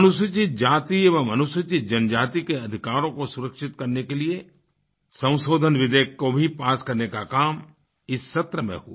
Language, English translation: Hindi, An amendment bill to secure the rights of scheduled castes and scheduled tribes also were passed in this session